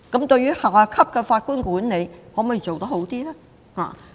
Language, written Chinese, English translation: Cantonese, 對於下級法官的管理，可否做得更好？, Can we have better management of judges of lower courts?